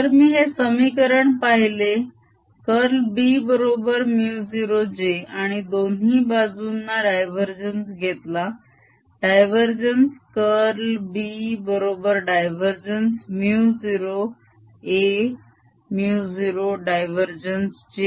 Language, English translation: Marathi, if i look this equation, curl of b is equal to mu naught j and take the divergence on both sides, divergence of both sides, divergence of curl of b is equal to divergence of mu zero, a mu zero, divergence of j